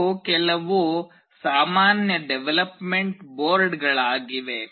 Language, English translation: Kannada, These are some common development boards